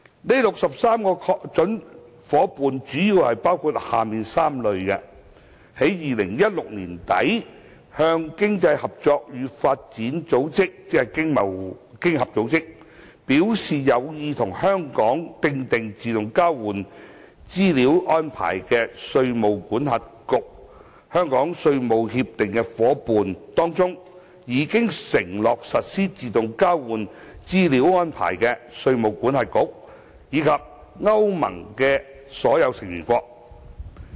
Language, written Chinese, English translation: Cantonese, 該63個準夥伴主要包括下列3類：在2016年年底向經濟合作與發展組織表示有意與香港訂定自動交換資料安排的稅務管轄區、香港稅務協定夥伴當中已承諾實施自動交換資料安排的稅務管轄區，以及歐盟的所有成員國。, The 63 prospective AEOI partners are mainly from the following three categories jurisdictions which expressed an interest to the Organisation for Economic Co - operation and Development OECD in late 2016 in conducting AEOI with Hong Kong; Hong Kongs tax treaty partners which have committed to AEOI; and all Member States of the European Union EU